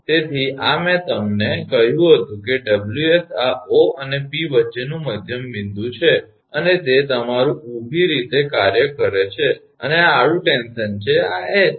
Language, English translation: Gujarati, So, this I told you the Ws this is the midpoint between O and P and it your acting vertically and this is the horizontal tension this is H